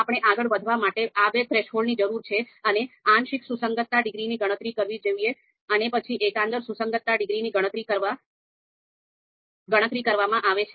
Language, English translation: Gujarati, So we need these two thresholds so that we can move ahead and compute the partial concordance degrees and later on global concordance degree